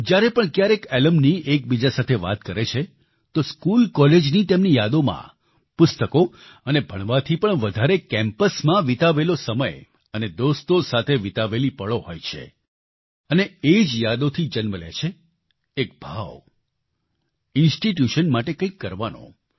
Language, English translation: Gujarati, Whenever alumni interact with each other, in their memories of school or college, greater time is given to reminiscing about time on campus and moments spent with friends than about books and studies, and, from these memories, a feeling is bornto do something for the institution